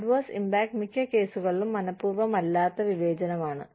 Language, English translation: Malayalam, Adverse impact, in most cases is, unintentional discrimination